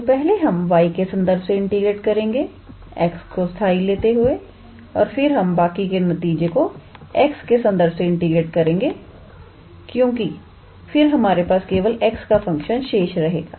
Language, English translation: Hindi, So, first we integrate with respect to y treating x as constant and then we integrate the rest of the result with respect to x because then we will have only a function of x